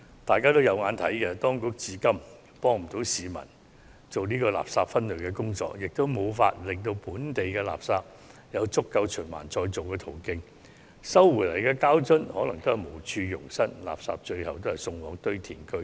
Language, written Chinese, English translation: Cantonese, 大家可以看到，當局至今無法協助市民進行垃圾分類，亦無法為本地垃圾製造足夠的循環再造途徑，所收回的膠樽可能無處容身，最終仍是被送往堆填區。, It is obvious to all that the Government has so far failed to assist the public in waste separation and neither has it ensured adequate channels for recycling of local waste . As a result most plastic bottles collected ended up being disposed of at landfills